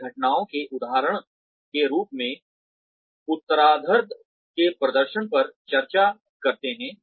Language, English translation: Hindi, They discuss the latter's performance, using the incidents as examples